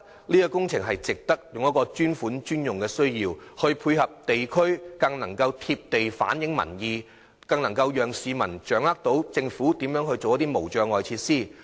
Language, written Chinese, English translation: Cantonese, 如透過"專款專用"配合地區工程，將更能貼地反映民意，讓市民掌握政府興建無障礙設施的措施。, If these community works can be financed on a dedicated - funds - for - dedicated - uses basis public opinions will be even better addressed enabling the public to monitor the Governments construction of barrier - free facilities